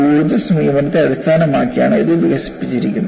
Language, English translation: Malayalam, And this is developed based on energy approach